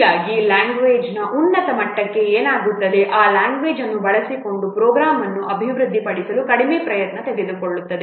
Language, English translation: Kannada, Thus what will happen for the higher the level of a language the less effort it takes to develop a program using that language